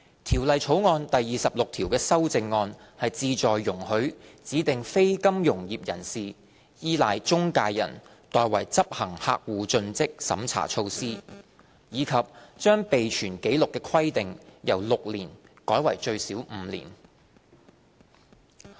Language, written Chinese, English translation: Cantonese, 《條例草案》第26條的修正案旨在容許指定非金融業人士依賴中介人代為執行客戶盡職審查措施，以及把備存紀錄的規定由6年改為最少5年。, The amendment to clause 26 seeks to allow DNFBP to rely on intermediaries to conduct customer due diligence measures and to amend the record - keeping requirement from six years to at least five years